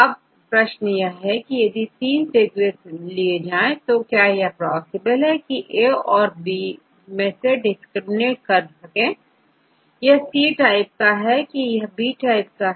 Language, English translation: Hindi, Now, the question is, if I give these 3 sequences, is it possible to discriminate A, is this type B, is this type and C, is this type, yes or no